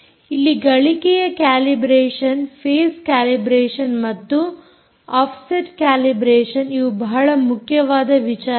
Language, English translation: Kannada, gain calibration, phase calibration and offset calibration are the most important things here